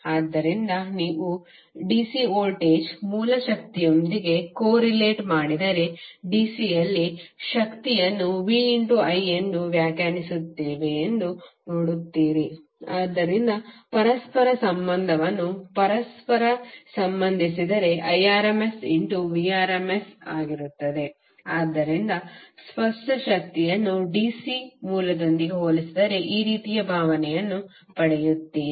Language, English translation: Kannada, So if you corelate with the DC voltage source power you see that in DC we define power as v into i, so if you correlate the apparent power would be the Irms into Vrms, so that you get a feel of like this is apparent as compared with the DC source